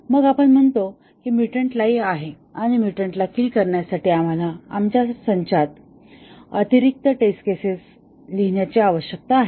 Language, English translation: Marathi, Then, we say that the mutant is live and we need to add additional test cases to our test suite to kill the mutant